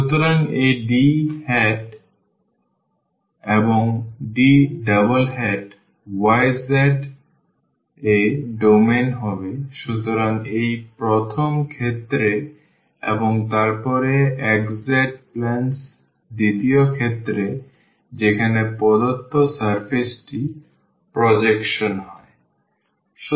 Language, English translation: Bengali, So, this D hat and D double hat are the domains in the y z; so, in this first case and then in the second case in xz planes in which the given surface is projected